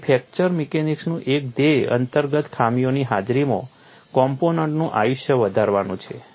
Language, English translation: Gujarati, So, one of the goals of fracture mechanics is to extend the life of a component in the presence of inherent flaws